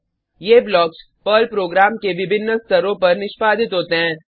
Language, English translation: Hindi, These blocks get executed at various stages of a Perl program